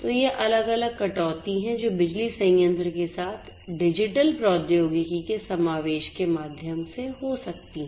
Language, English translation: Hindi, So, these are these different reductions that can happen through the incorporation of digital technology with the power plant